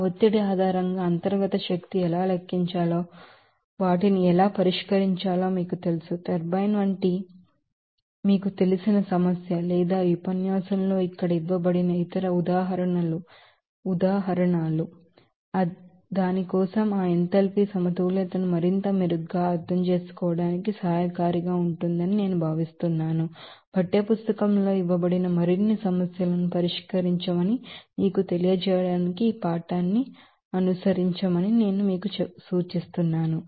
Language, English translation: Telugu, How to calculate the internal energy based on that pressure change how to calculate the internal energy based on enthalpy change, how to you know solve those, you know, problem of you know, like turbine or you know that other examples that is given here in this lecture, it will be, I think helpful for better understanding of that enthalpy balance for that, and I would suggest you to follow this text to you know solve more problems up example, that is given in the textbook